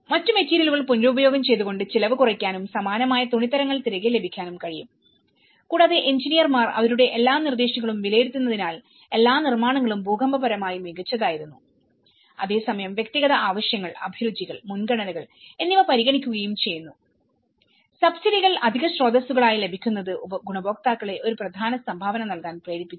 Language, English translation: Malayalam, And other materials which have been reused which could reduce the cost and also get back the similar fabric what they had and because the engineers were evaluating all their proposals all the constructions were seismically sound while responding at the same time to individual needs, tastes and priorities, the freedom to match the subsidies with additional sources prompted an important contribution from the beneficiaries